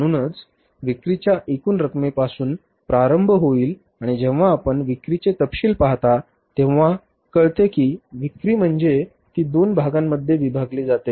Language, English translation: Marathi, So, we will be starting with the total amount of the sales and when you see the sales, particulars means the sales and it is divided into two parts